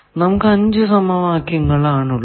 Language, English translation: Malayalam, This we are calling first equation